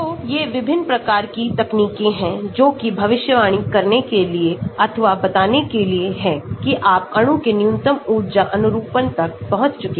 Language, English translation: Hindi, So, these are the different types of techniques that are available for predicting or for telling whether you have reached the minimum energy conformation of the molecule